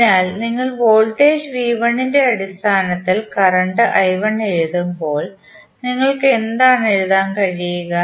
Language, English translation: Malayalam, So, when you write current i 1 in terms of the voltages V 1 what you can write